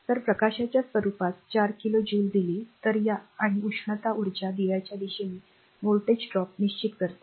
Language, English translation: Marathi, If 4 kilo joule is given off in the form of light and the and heat energy determine the voltage drop across the lamp